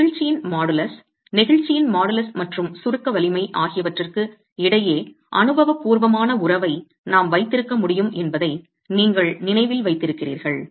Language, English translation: Tamil, You remember that models of elasticity we could have an empirical relationship between the modulus of elasticity and the compressive strength